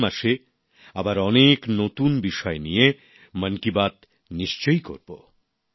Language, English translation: Bengali, We will meet in another episode of 'Mann Ki Baat' next month with many new topics